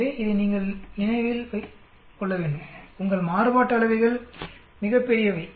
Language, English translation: Tamil, So you need to remember this, your variances are extremely large